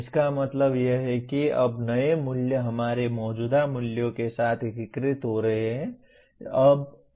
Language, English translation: Hindi, What it means is now the new values are getting integrated with our existing values